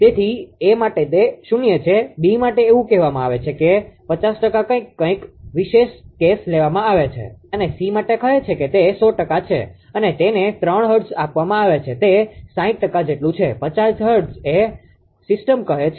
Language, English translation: Gujarati, So, for A it is 0, for B it is say 50 percent something some special case is taken and for C say it is 100 percent, and it is given 3 hertz is equal to 60 percent is a 50 hertz system say